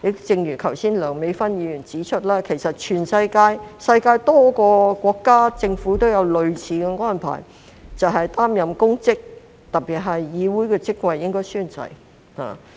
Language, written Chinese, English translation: Cantonese, 正如梁美芬議員剛才也指出，全世界多個國家或政府均有類似的安排，就是擔任公職，特別是議會的職位，便應該宣誓。, As Dr Priscilla LEUNG pointed out earlier on many countries or governments in the world have adopted similar arrangements by requiring a person taking up public office particularly office in the legislature to take an oath